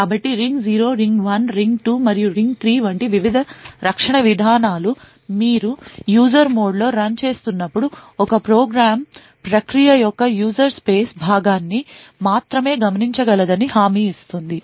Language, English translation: Telugu, So, the various protection mechanisms like the ring 0, ring 1, ring 2 and ring 3 guarantee that when you are running in user mode a program can only observe the user space part of the process